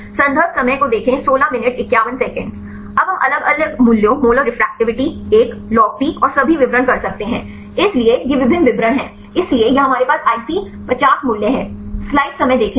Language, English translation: Hindi, Now, we can have different values moral refractivity a log P and all the details; so, these are the various descriptors, so here we have IC50 values